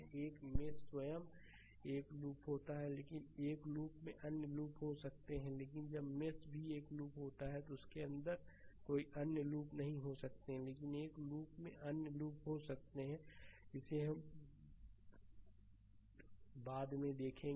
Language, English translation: Hindi, A mesh itself is a single loop right, but but in a loop there may be other loop also right, but whenever the mesh is a single loop there may not be any other loop inside it, but in a loop there may be other loops also later will see that